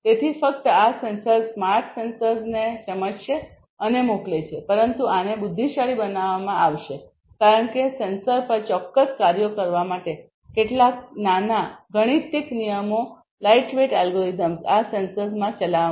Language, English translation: Gujarati, So, not only that these sensors the smart sensors would sense and send, but these would be made intelligent because certain small algorithms lightweight algorithms will be executed in these sensors to do certain tasks at the sensors themselves